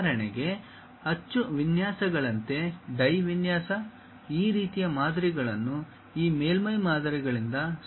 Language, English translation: Kannada, For example: like mold designs, die design this kind of things can be easily constructed by this surface models